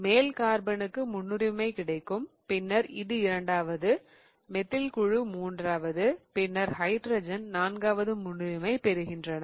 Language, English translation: Tamil, So, the top carbon gets the priority one, then this will be second, then the methyl group third and then hydrogen is the fourth priority